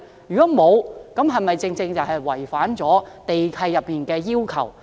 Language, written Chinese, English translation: Cantonese, 如果沒有，這情況是否違反了地契內的要求？, If not has this situation contravened the lease requirements?